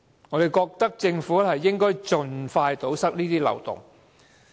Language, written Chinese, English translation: Cantonese, 我認為政府應盡快堵塞這些漏洞。, I think the Government should plug these loopholes as soon as possible